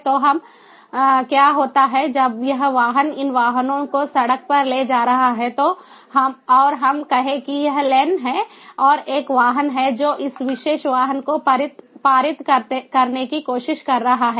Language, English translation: Hindi, so what happens is when this vehicle, these vehicles, are moving on the road and let us say that this is the lane and there is a vehicle which is trying to pass this particular vehicle